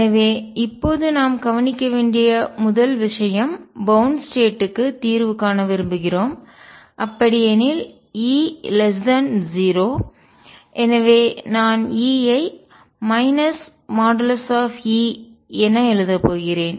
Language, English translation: Tamil, So, now first thing we notice is we want to solve for bound states, and therefore E is less than 0 I am going to write E as minus modulus of E